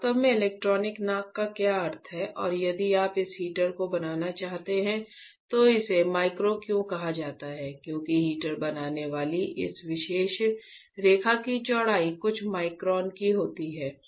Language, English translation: Hindi, I will discuss with you what exactly electronic nose means and if you want to fabricate this heater, why it is called micro because the width of this particular line that is forming the heater right is of few microns